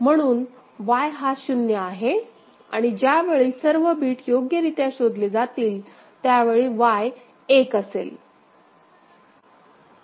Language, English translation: Marathi, So, Y is 0, so, Y will be 1 when all the three bits are detected properly fine, ok